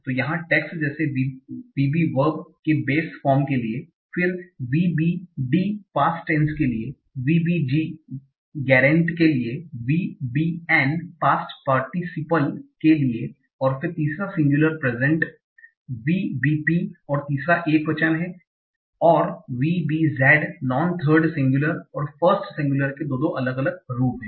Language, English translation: Hindi, So you have tags like VB for the base form of the verb, then VBD for the past tense, VBG for gerent, VBN for past participle, and then third singular present is VPP and third singular and is like VBZ